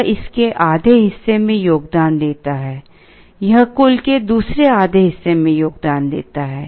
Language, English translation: Hindi, This contributes to half of it, this contributes to the other half of the total